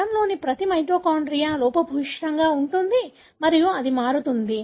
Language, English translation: Telugu, It is not that every mitochondria in a cell is defective and it varies